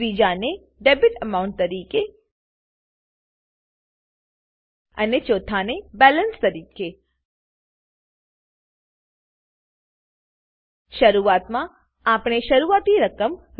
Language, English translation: Gujarati, The third one as Debit amount And the fourth one as Balance Initially, well set the initial amount to be Rs 5000